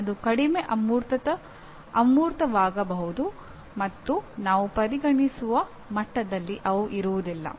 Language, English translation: Kannada, They may be less abstract and they will not be at the same level as we would consider